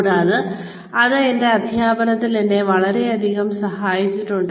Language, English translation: Malayalam, And, that has helped me considerably with my teaching